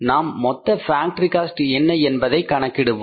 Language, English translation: Tamil, So, how much is now the total factory overheads